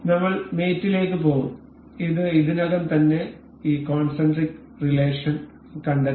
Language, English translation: Malayalam, We will go to mate, it it has already detected this concentric relation